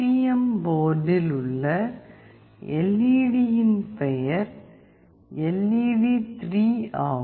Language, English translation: Tamil, And the name of the LED in that STM board is LED3